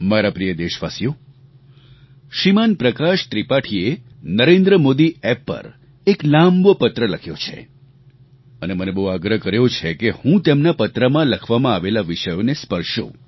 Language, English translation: Gujarati, My dear countrymen, Shriman Prakash Tripathi has written a rather long letter on the Narendra Modi App, urging me to touch upon the subjects he has referred to